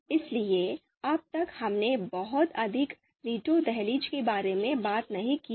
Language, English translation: Hindi, So till now, you know we haven’t talked about veto threshold much